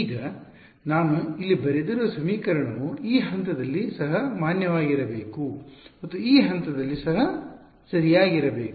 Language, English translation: Kannada, Now, this equation that I have written over here, it should be valid at this point also and at this point also right